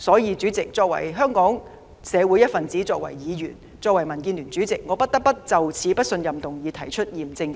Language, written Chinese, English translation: Cantonese, 因此，主席，作為香港社會一分子、議員和民主建港協進聯盟的主席，我不得不就這項不信任議案提出嚴正反對。, Hence President as part of our community a lawmaker and Chairman of the Democratic Alliance for the Betterment and Progress of Hong Kong I cannot but adamantly oppose this motion of no confidence